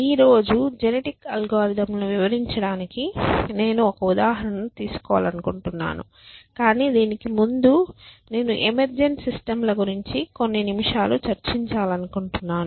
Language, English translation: Telugu, So, I want to do one example of to illustrate genetic algorithms today, but before that I want to sort of spend few minutes on this idea of emergent systems essentially